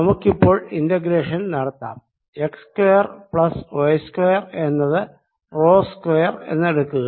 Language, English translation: Malayalam, let us know, to do the integral, let's take x square plus z square to be some rho square